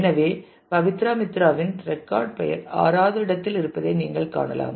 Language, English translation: Tamil, So, you can see that Pabitra Mitra the record name occurs at position 6